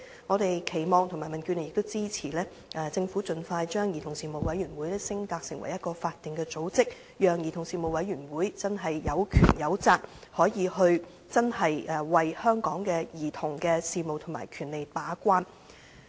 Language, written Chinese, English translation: Cantonese, 我們民主建港協進聯盟期望和支持政府盡快把兒童事務委員會升格為法定組織，讓該委員會真正有權有責，為香港的兒童事務和權利把關。, We in the Democratic Alliance for the Betterment and Progress of Hong Kong hope to and extend our support for the Government to expeditiously upgrade the Commission to a statutory organization vesting it with genuine powers and responsibilities to keep the gate for childrens affairs and rights in Hong Kong